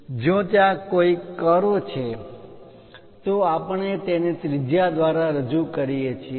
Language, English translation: Gujarati, And if there are any curves we represent it by a radius line